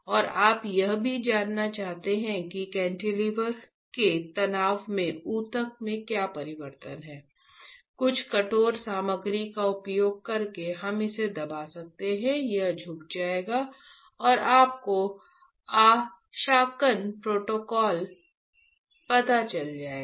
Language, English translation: Hindi, And you also want to know the what is the change in the tissue in the stress of the cantilever by using some hard material you can press it, it will bend and you will know the calibration protocols, alright